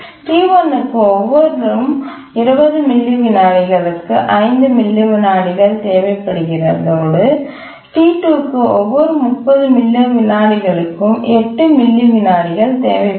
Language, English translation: Tamil, T1 requires 5 milliseconds every 20 millisecond and T2 requires 8 milliseconds every 30 millisecond and T2 let's assume that it's the critical task